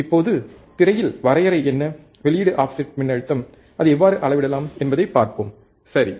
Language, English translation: Tamil, Now, let us see the on the screen what what the definition is and how we can measure the output offset voltage, right